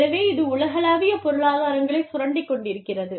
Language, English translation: Tamil, So, this is exploiting, global economies of scope